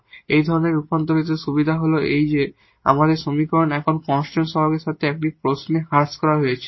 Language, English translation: Bengali, So, that is the benefit of such transformation that this equation is reduced now to a question with constant coefficients which are easy to which is easy to solve now